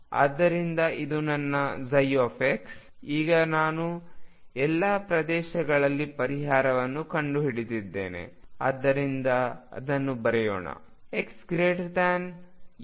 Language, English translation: Kannada, So this is my psi x, now I have found the solution in all regions so let us write it